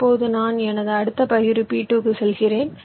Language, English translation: Tamil, now i move to my next partition, p two